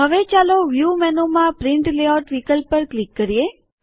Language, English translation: Gujarati, Now lets us click on Print Layout option in View menu